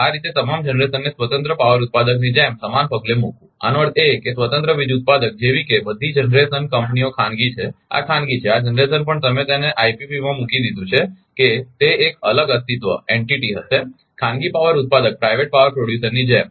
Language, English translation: Gujarati, Thus putting all the generation on the same footing as the as the independent power producer; that means, all generation companies like independent power producer is private, this is private this generation also you put it in IPP such that it will be a separate entity, like private power producer right